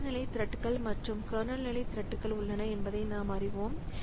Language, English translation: Tamil, So, as we know that there are user level threads and kernel level threads